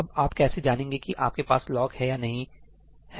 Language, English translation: Hindi, Now how do you know whether you have the lock or not